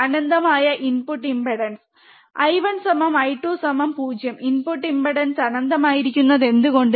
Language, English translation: Malayalam, Infinite input impedance I 1 equals to I 2 equals to 0, why input impedance is infinite